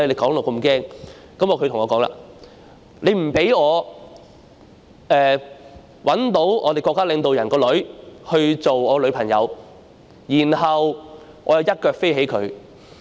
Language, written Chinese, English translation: Cantonese, "他對我說："說不定我可找到我們國家領導人的女兒當我女朋友，然後我'一腳飛起她'。, He said to me Perhaps I would meet our State leaders daughter who would become my girlfriend and then I would ruthlessly dump her